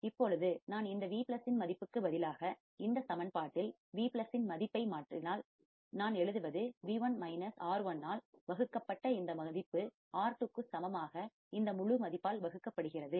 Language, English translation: Tamil, Now, if I substitute the value of Vplus, if I substitute the value of Vplus in this equation, what I would write is V1 minus this value divided by R1 equals to R2 divided by this whole value